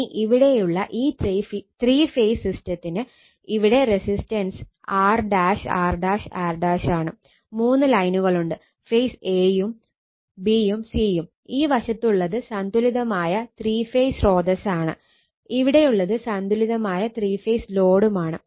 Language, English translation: Malayalam, Now, now this one your if for three phase system, we assumed also same thing that your three phase systems, so resistance is R dash, R dash, R dash; three lines is there phase a, b, c; this side is three phase balanced source right, and this is three phase balanced load